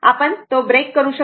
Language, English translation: Marathi, You can break it